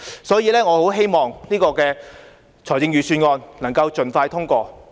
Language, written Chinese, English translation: Cantonese, 所以，我很希望預算案能夠盡快通過。, Therefore I very much hope that the Budget can be passed expeditiously